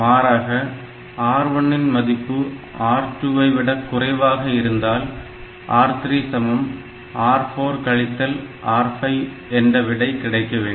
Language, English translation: Tamil, Like this in some high level language so, if R1 is better than R2 then R3 gets R4 plus R5 else R3 gets R4 minus R5